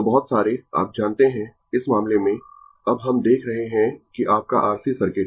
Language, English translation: Hindi, So, so many you know, in this case, now we are seeing that your RC circuit